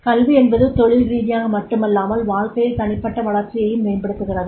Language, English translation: Tamil, Education not only the professionally but also enhances the personal development and life